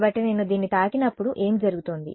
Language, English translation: Telugu, So, when I touch this what is happening